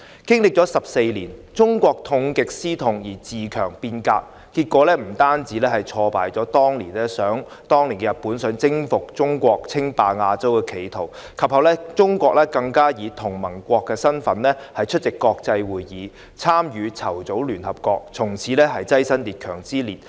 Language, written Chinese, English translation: Cantonese, 經歷14年後，中國痛定思痛，自強變革，結果不但挫敗了當年日本想征服中國、稱霸亞洲的企圖，及後中國更以同盟國身份出席國際會議，參與籌組聯合國，從此躋身強國之列。, After 14 years China learnt from the bitter experience and carried out self - improvement and transformation . As a result Japans attempt to conquer China and dominate Asia failed and China later attended international conferences as an ally and participated in organizing the United Nations among the strong nations since then